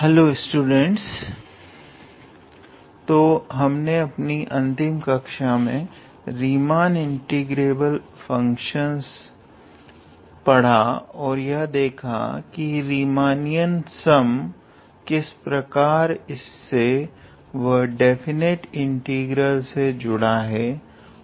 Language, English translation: Hindi, Hello students, so up until last class we saw the Riemann integrable functions, and how they are connected with the Riemannian sum, and how Riemannian sum is connected with definite integral